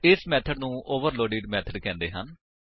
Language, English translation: Punjabi, These methods are called overloaded methods